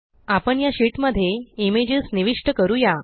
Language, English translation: Marathi, We will insert images in this sheets